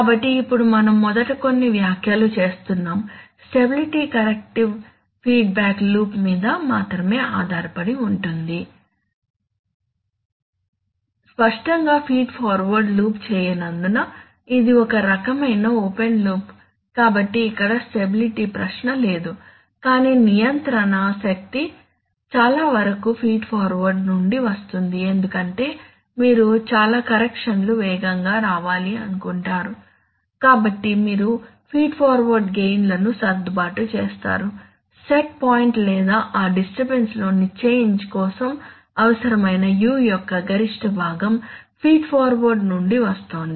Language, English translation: Telugu, So now we are making some comments first thing we says that the stability characteristic depends only on the feedback loop, obviously because the feed forward loop does not it is a kind of open loop so there is no stability question here, but the control energy comes mostly from the feed forward because you want most of the corrections to come fast, so the, so you adjust the gains of the feed forward such that maximum part of U that is required for that change in the set point or the or the disturbance especially is coming from feed forward